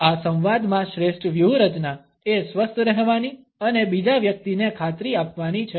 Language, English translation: Gujarati, In this dialogue the best strategy to remain cool and assuring towards the other person